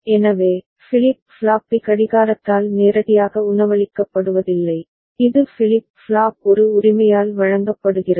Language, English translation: Tamil, So, flip flop B is not fed by the clock directly, it is fed by the flip flop A right